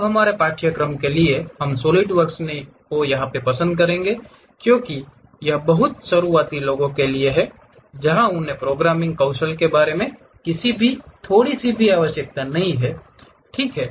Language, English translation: Hindi, Now, for our course we prefer Solidworks uh because this is meant for very beginners where they do not even require any little bit about programming skills, ok